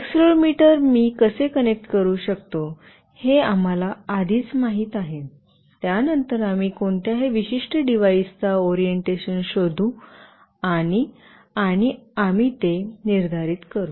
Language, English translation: Marathi, And we already know how we can connect accelerometer, then we will figure out the orientation of any particular device, and we will determine that